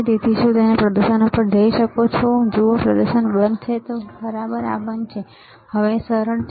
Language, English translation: Gujarati, So, can you go to the display see display is off all right this is off, easy